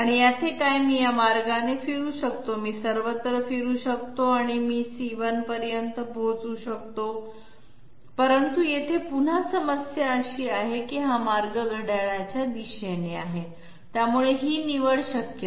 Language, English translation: Marathi, What about this, I can move this way, I can go all around and I can reach C1, but here is the problem is once again this path is clockwise, so this is not a possible choice